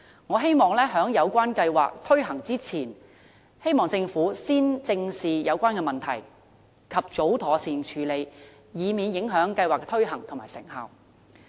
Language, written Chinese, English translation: Cantonese, 我希望政府在計劃推行之前，先正視有關問題，及早妥善處理，以免影響計劃的推行和成效。, I hope the Government can properly consider the relevant problems and deal with them appropriately before launching the scheme so as to avoid compromising its implementation and efficacy